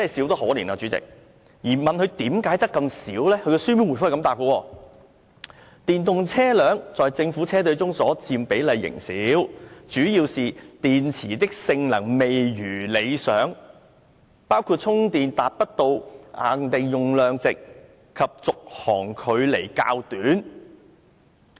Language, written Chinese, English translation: Cantonese, 當局長被問及為何數量只有這麼少時，他回答表示，"電動車輛在政府車隊中所佔比例仍是少數，主要是電池的性能未如理想，包括充電達不到限定用量值及續航距離較短"。, When asked why the number was so small he replied The percentage of EVs in the Government fleet is still low mainly because of the unsatisfactory battery performance including the failure to charge to the rated capacity and the short driving range after charging . Chairman what a reply!